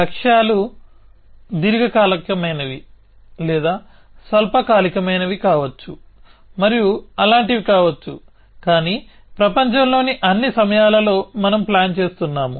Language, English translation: Telugu, So, goals of course, can be long term or short term and things like that, but all the time in the world we are planning